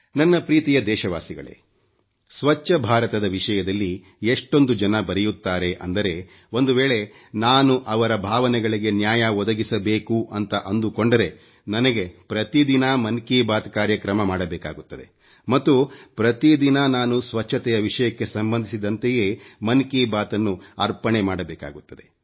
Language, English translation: Kannada, My dear countrymen, a multitude of people write to me about 'Swachch Bharat', I feel that if I have to do justice to their feelings then I will have to do the program 'Mann Ki Baat' every day and every day 'Mann Ki Baat' will be dedicated solely to the subject of cleanliness